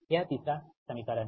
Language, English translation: Hindi, this is the third equation